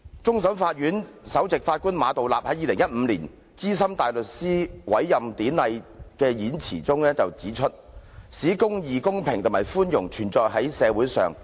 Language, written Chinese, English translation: Cantonese, 終審法院首席法官馬道立在2015年資深大律師委任典禮上致辭時表示："法律使公義、公平及寬容存在於社會上。, In 2015 Chief Justice Geoffrey MA said at the Ceremony for the Admission of the New Senior Counsel The law enables the quality of justice fairness and mercy to exist in a society